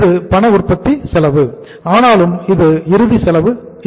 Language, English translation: Tamil, This is the cash manufacturing cost